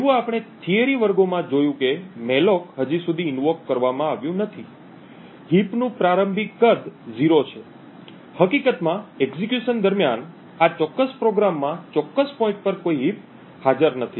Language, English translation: Gujarati, As we have seen in the theory classes since the malloc has not been invoked as yet, the initial size of the heap is 0, in fact there is no heap present in this particular program at this particular point during the execution